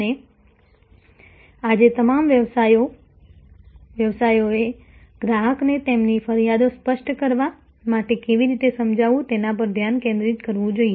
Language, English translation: Gujarati, And all businesses today must focus how to persuade the customer to articulate their grievances